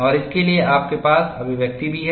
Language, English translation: Hindi, And you also have expressions for this